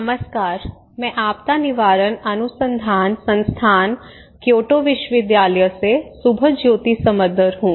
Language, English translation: Hindi, Hi everyone, I am Subhajyoti Samaddar from Disaster Prevention Research Institute, Kyoto University